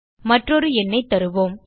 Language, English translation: Tamil, Let us enter another number